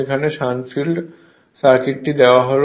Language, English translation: Bengali, The shunt field circuit right